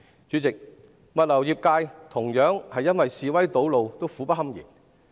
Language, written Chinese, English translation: Cantonese, 主席，物流業界亦同樣因示威堵路而苦不堪言。, President the logistics industry is also suffering greatly because of the road blockage caused by the protests